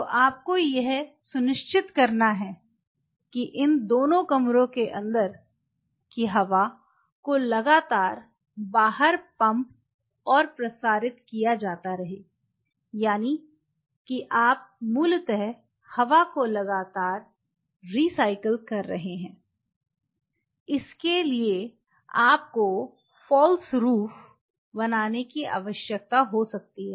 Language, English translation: Hindi, So, to ensure that the air inside both these rooms are being continuously pumped out and circulated; that means, what you are essentially doing is you are continuously recycling the air and that made demand that the roof what you make you may need to make the roof of false roof